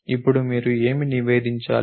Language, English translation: Telugu, Now, what do you supposed to report